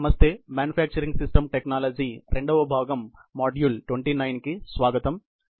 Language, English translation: Telugu, Hello and welcome to this manufacturing systems technology; part 2, module 29